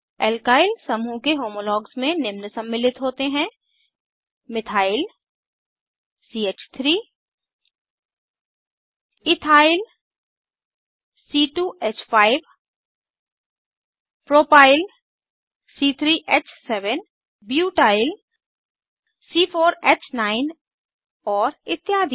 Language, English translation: Hindi, Homologues of the Alkyl group series include, Methyl CH3 Ethyl C2H5 Propyl C3H7 Butyl C4H9 and so on